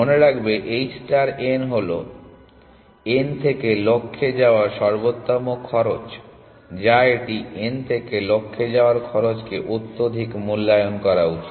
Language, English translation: Bengali, Remember h star of n is the optimal cost of going from n to the goal or should it overestimate the cost of going from n to the goal, which one will make my algorithm admissible